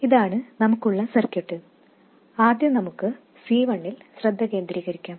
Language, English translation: Malayalam, This is the circuit we have and first let's focus on C1